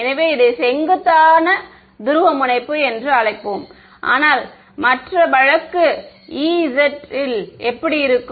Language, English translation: Tamil, So we will call this perpendicular polarization right, but and the other case E will be like this